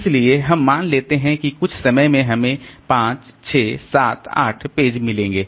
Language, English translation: Hindi, So, suppose at some point of time we have got the pages referred to like say 5, 6, 7, 8